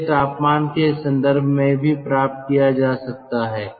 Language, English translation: Hindi, this also can be obtained in terms of temperatures